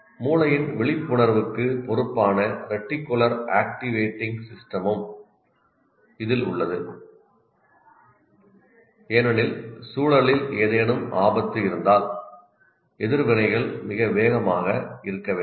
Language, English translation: Tamil, It also houses the reticular activating system responsible for brain's alertness because reactions have to be very fast if there is any danger in the environment